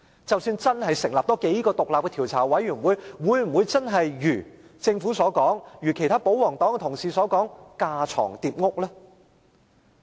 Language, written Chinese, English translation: Cantonese, 即使真的多成立數個獨立調查委員會，會否真的如政府和保皇黨同事所說是架床疊屋？, Even if some more independent commissions of inquiry are established will they be superfluous as claimed by the Government and royalist Members?